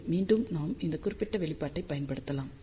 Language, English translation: Tamil, Well, again we can use this particular expression now